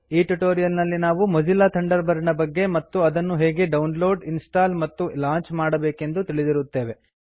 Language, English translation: Kannada, In this tutorial we learnt about Mozilla Thunderbird and how to download, install and launch Thunderbird